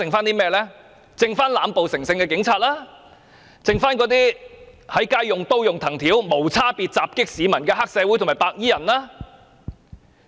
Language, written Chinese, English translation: Cantonese, 便是濫暴成性的警察、在街上用刀和藤條無差別襲擊市民的黑社會和白衣人。, Police officers who are addicted to abusive use of violence as well as triad members and white - clad mobs who launch indiscriminate attacks on people on the streets with knives and rattan sticks